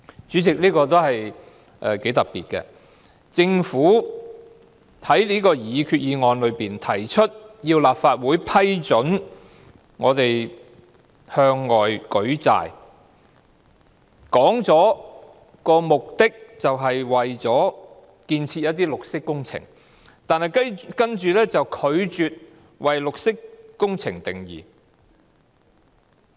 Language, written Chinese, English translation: Cantonese, 主席，這個解釋頗為特別，政府在擬議決議案中要求立法會批准政府向外舉債，表明目的是推行綠色工程，但卻拒絕為綠色工程下定義。, The Government seeks approval from the Legislative Council to make borrowings from outside sources in the proposed resolution indicating that the purpose is to implement green works projects but it has refused to define green works projects